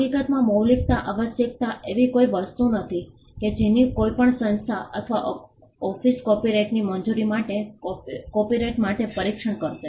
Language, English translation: Gujarati, In fact, the originality requirement is not something which a any organisation or office would even test for a copyright for the grant of a copyright